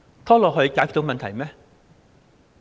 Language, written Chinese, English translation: Cantonese, 拖延可以解決到問題嗎？, Can procrastination solve the problem?